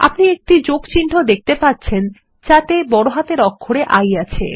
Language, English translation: Bengali, You will see plus sign with a capital I